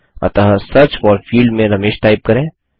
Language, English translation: Hindi, So type Ramesh in the Search For field